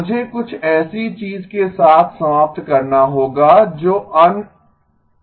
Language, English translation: Hindi, I may have ended up with something that is unstable